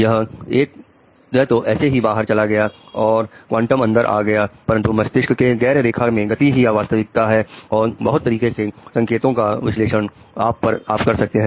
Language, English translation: Hindi, It actually went out of fashion with this quantum thing coming in but the non linear dynamics in the brain is a reality and these are type of signal analysis which you do